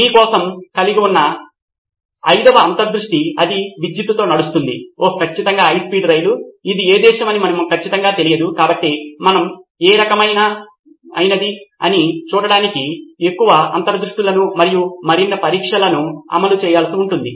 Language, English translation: Telugu, The fifth insight that I have for you is it runs on electricity, oh yeah definitely a high speed train, we do not know for sure which country it is probably, so we need probably to run more insights and more tests to see what kind of insights can we get